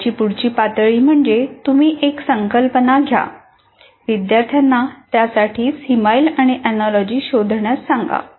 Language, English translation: Marathi, So the next level is you take a concept and ask them to identify a simile for that or give an analogy for that